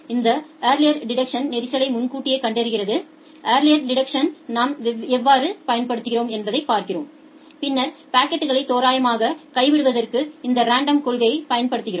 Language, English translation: Tamil, This early detection is early detection of congestion we will see how we are applying early detection of congestion and then we apply this random principle to randomly drop the packets